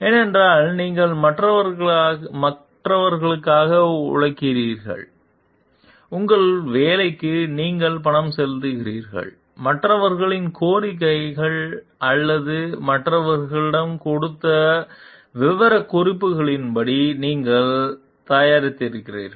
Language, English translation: Tamil, Because, you have worked for others and you have you have been paid for your work and you have produced as per the demands of the others or specification given by others